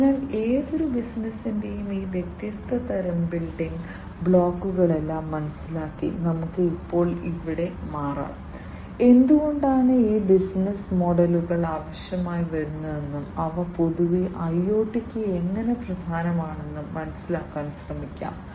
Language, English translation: Malayalam, So, having understood all these different types of building blocks of any business; let us now switch our here, and try to understand that why we need these business models, and how they are important for IoT, in general